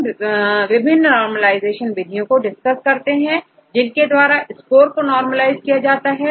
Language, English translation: Hindi, So, we can use different normalization procedures to normalize the scores